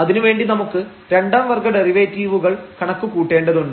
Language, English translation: Malayalam, So, for that we need to compute now the second order derivatives